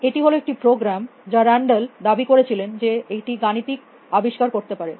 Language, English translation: Bengali, It was the program, which len it claimed was doing mathematical discovery